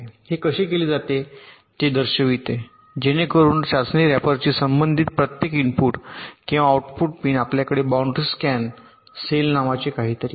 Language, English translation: Marathi, so this as we show how it is done, so that in the test rapper, corresponding to every input or output pin, you have something called a boundary scan cell